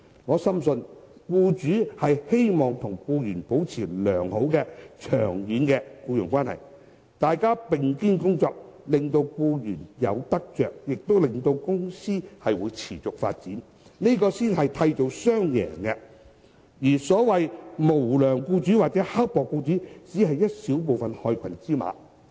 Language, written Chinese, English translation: Cantonese, 我深信僱主希望與僱員保持良好、長遠的僱傭關係，大家並肩工作，令到僱員有得着，亦令到公司持續發展，這才能夠締造雙贏，而所謂無良或刻薄僱主只是小部分的害群之馬。, I strongly believe that employers hope to maintain good long - term employment relationship with employees . By working shoulder to shoulder employees will benefit and their companies can sustain their development . Only then will a win - win situation be created